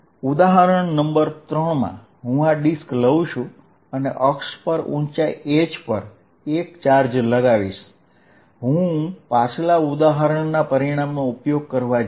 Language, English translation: Gujarati, In example number 3, I am going to take this disc and put a charge at height h on the axis, I am going to use the result of previous example